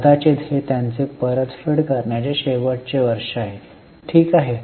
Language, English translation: Marathi, Maybe because this is their last year of repayment